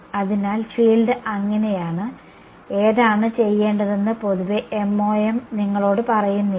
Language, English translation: Malayalam, So, the field is so, MoM in general does not tell you which one to do